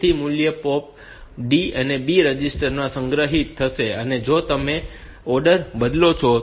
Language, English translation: Gujarati, So, this value will be POP D stored in the B register; and if you change the orders